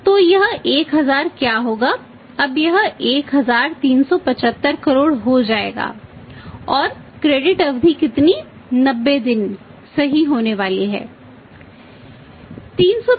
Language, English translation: Hindi, So, what will be is this this will become not 1000 now it will become 1375 crores and credit period is going to be how much 90 days right